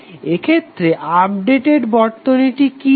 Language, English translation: Bengali, So what will be the updated circuit in that case